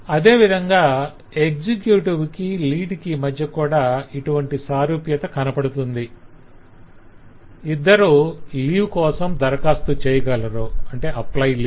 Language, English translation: Telugu, similarly there is commonly between the executive and lead as well both of them can apply for leave